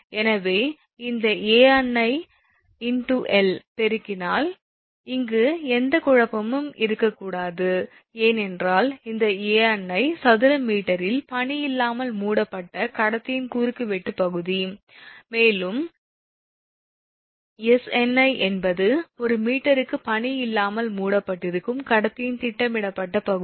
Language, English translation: Tamil, So, there should not be any confusion here right multiplied this Ani into l, because this Ani actually cross section area of conductor covered without ice in square meter, and Sni is projected area of conductor covered without ice in square meter per meter length right